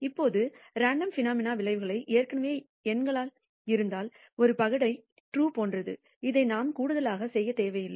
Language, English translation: Tamil, Now, if the outcomes of random phenomena are already numbers such as the true of a dice, then we do not need to do this extra e ort